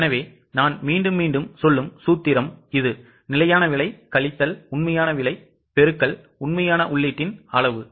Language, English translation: Tamil, So, the formula I will repeat once again, it is standard price minus actual price into actual quantity of input